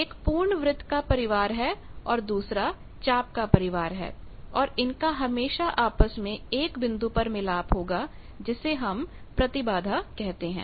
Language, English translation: Hindi, One family is full circle another family is arc, so there will be always a meeting point that is the impedance